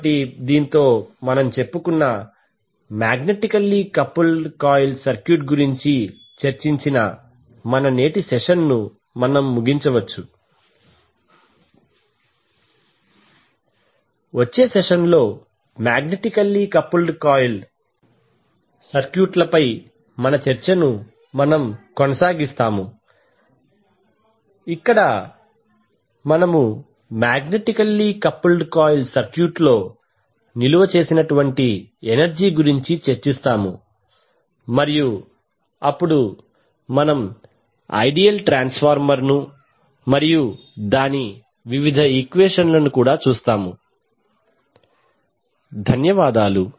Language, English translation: Telugu, So with this we can close our today’s session where we discussed about the magnetically coupled circuit we will discuss, we will continue our discussion on the magnetically coupled circuits in the next session also where we will discuss about the energy stored in the magnetically coupled circuit and then we will also see the ideal transformer and its various equations thank you